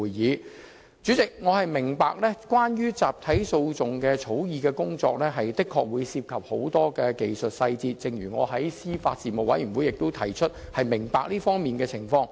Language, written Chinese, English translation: Cantonese, 代理主席，我明白關於集體訴訟的法律草擬工作的確涉及很多技術細節，正如我在司法及法律事務委員會會議上指出，我對這方面的情況表示理解。, Deputy President I do understand that law drafting on class actions involves many technical complexities . I can appreciate the situation as I remarked at meetings of the Panel on Administration of Justice and Legal Services